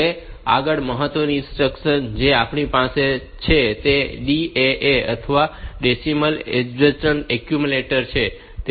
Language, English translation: Gujarati, Next, important instruction that we have is the DAA or Decimal Adjust Accumulator